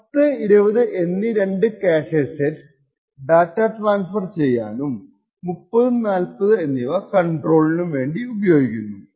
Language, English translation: Malayalam, 2 of these cache sets 10 and 20 are used for transferring data while the cache set 30 and 40 are used for control